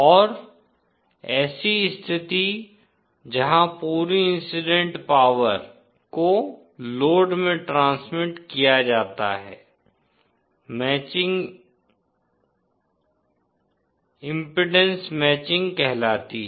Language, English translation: Hindi, And such a condition where the entire incident power is transmitted to the load is called matching, impedance matching